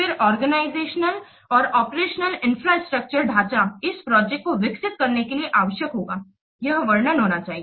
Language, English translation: Hindi, Then the organizational and operational infrastructure that will be required to develop the project that must be described